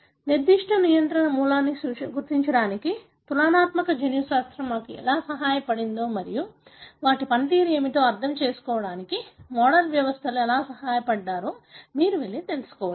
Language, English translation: Telugu, You can go and look into as to how comparative genomics helped us to identify certain controlling element and how the model systems helped us to understand what is the function of them